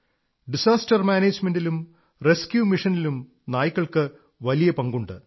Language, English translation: Malayalam, Dogs also have a significant role in Disaster Management and Rescue Missions